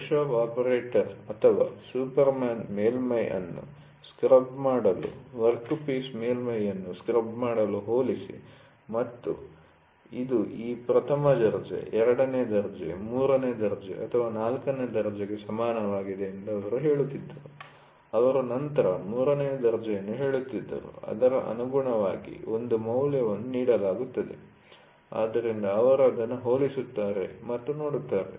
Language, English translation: Kannada, So, the workshop operator or the superman used to scribe the surface, scribe the workpiece surface, compare and say this is equal to this first grade, second grade, third greater or fourth grade, they used to say third grade then, correspondingly for this there will be a value which is given, so then, they compare it and see